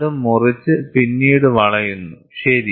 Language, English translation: Malayalam, So, it cuts and then it bends, ok